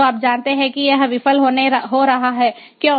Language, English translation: Hindi, so you know it is going to fail